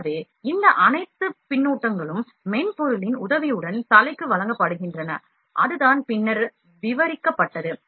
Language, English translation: Tamil, So, this all feedback is given to the head with the help of software, that would be described later on